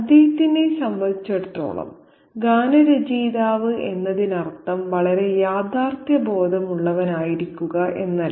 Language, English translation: Malayalam, For him apparently being very lyrical doesn't mean being very realistic